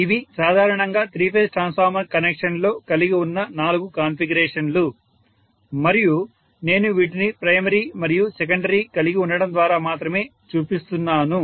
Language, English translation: Telugu, So these are the four configurations normally we can have in the three phase transformer connection and I am showing this only by having primary and secondary